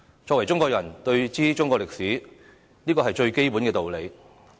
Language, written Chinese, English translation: Cantonese, 身為中國人，當知中國歷史，這是最基本的道理。, It is a fundamental principle that Chinese people should know Chinese history